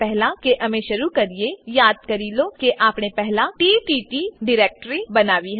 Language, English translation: Gujarati, Before we begin, recall that we had created ttt directory earlier